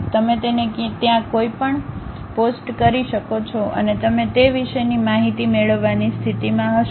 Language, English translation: Gujarati, Anything you can really post it there and you will be in a position to really get the information about that